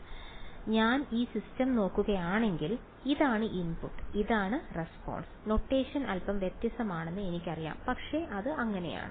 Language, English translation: Malayalam, So, if I look at this system, so, this is the input and this is the response, I know that the notation looks a little different ok, but its